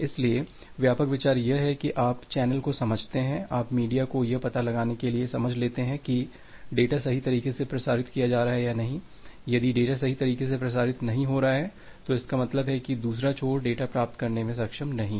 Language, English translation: Hindi, So, the broad idea is that you sense the channel, you sense the media to find out whether the data is being transmitted correctly or not, if the data is not being transmitted correctly, that means, the other end is not able to receive the data